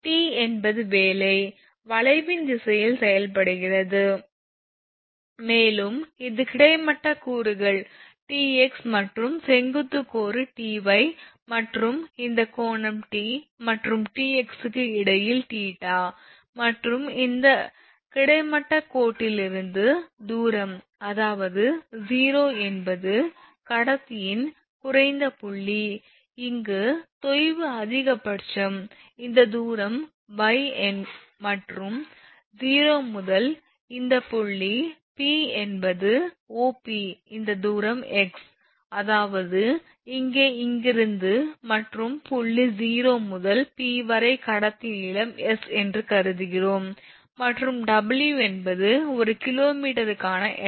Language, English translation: Tamil, So, this is this T is work is acting in the direction of the curve, and it is horizontal components is Tx and vertical component is Ty, and this angle is your between T and T x is theta, and distance from this horizontal line from this meaning that is O is that your lowest point of the conductor this is maximum, and here the sag is maximum this distance is y small y and from O to this point P that is OP this distance is x O to P that distance is x; that means, here to here and from point O to P we assume the conductor length is small S, this is small S and if the W is the weight per kg meter